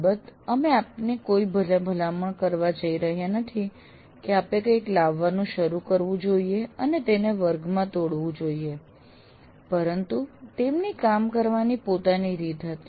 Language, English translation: Gujarati, So, of course, you are not, we are not going to recommend to any of you that you should start bringing something and break it in the class, but he had his way of doing things